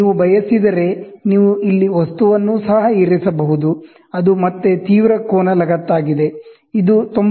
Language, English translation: Kannada, If you want, you can also place here the object, which is again an acute angle attachment